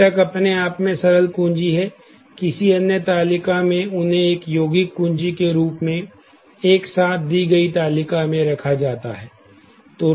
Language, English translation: Hindi, The components are simple key in their own right, in some other table and are put together as a compound key in the given table